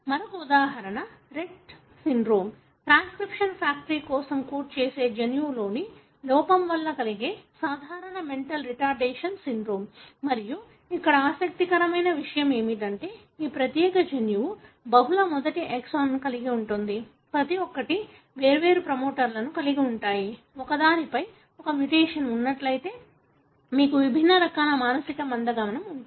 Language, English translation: Telugu, Another example is Rett syndrome, one of the common mental retardation syndrome caused by defect in a gene that codes for a transcription factor and what is interesting here is that, this particular gene is known to have multiple first exon, each having different promoter and depending on which one is having a mutation, you would have distinct forms of mental retardation